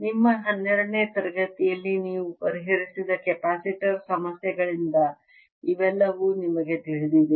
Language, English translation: Kannada, you know all this from the capacitor problems you solve in your twelfth field